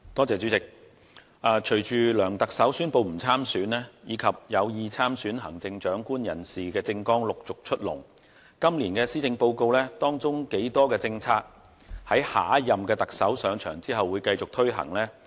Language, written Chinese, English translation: Cantonese, 主席，隨着梁特首宣布不參選，以及有意參選行政長官人士政綱陸續出籠，我們不禁要問，今年的施政報告當中究竟有多少政策是會在下任特首上場後繼續推行呢？, President after Chief Executive LEUNG Chun - yings announcement that he will not seek re - election and as those intending to run in the Chief Executive Election roll out their respective political platforms we cannot help asking just how many policies set out in the Policy Address this year will be carried forward by the next Chief Executive after his or her coming to power